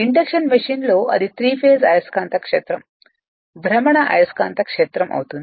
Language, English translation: Telugu, But in the you are what you call in the interaction machine it will be 3 phased magnetic field the rotating magnetic field